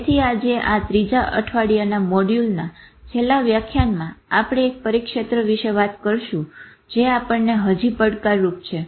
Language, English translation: Gujarati, So today towards the last lectures of this week three module, we'll talk about one zone which still challenges us